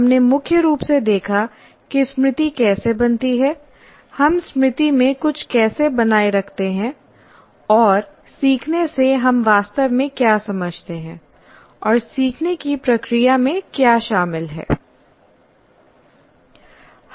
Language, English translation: Hindi, And we said we mainly looked at in how the memory is formed, how we retain something in the memory, and what do we really understand by learning, what is involved in the process of learning